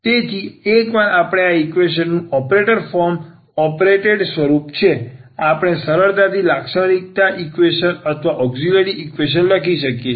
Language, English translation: Gujarati, So, once we have the operated form operated form of the equation we can easily write down the characteristic equation, so or the auxiliary equation